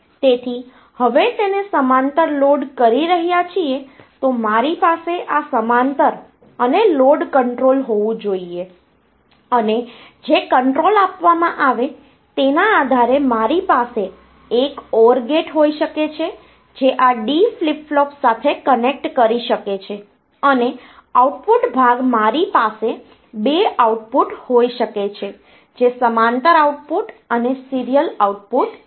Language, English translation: Gujarati, So, now loading it parallel then I should have this parallel in and the load control and depending upon whichever control is given, so I can have an or gate they can connect to this d flip flop and for the output part I can have 2 output parallel output and serial output